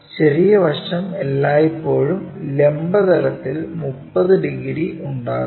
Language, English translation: Malayalam, The small side is always making 30 degrees with the vertical plane